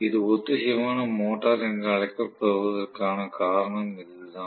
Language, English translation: Tamil, That is the reason why it is called as the synchronous motor